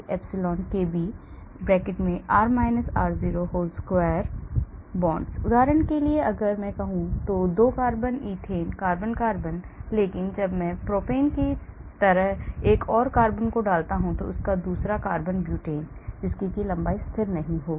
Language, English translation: Hindi, For example if I have say, 2 carbon ethane , carbon carbon, but when I put in another carbon like propane, another carbon butane that length will not be constant